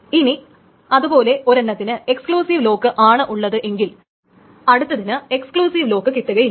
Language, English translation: Malayalam, And of course, if one has got the exclusive lock, the other cannot get the exclusive lock